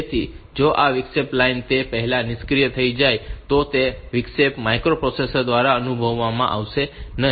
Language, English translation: Gujarati, So, if this interrupt line becomes deactive before that then that interrupt will not be sensed by the microprocessor